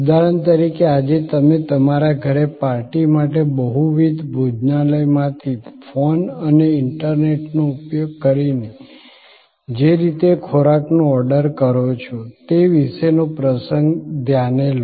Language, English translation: Gujarati, Take for example, the episode about the way you order food today using phone and internet from multiple restaurants for a party at your home